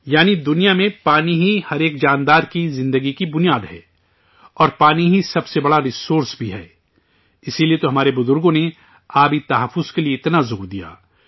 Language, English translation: Urdu, That is, in the world, water is the basis of life of every living being and water is also the biggest resource, that is why our ancestors gave so much emphasis on water conservation